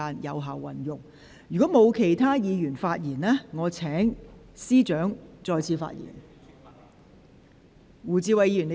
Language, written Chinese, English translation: Cantonese, 如果沒有其他委員想發言，我現在請律政司司長再次發言。, If no other Member wish to speak I now call upon the Secretary for Justice to speak again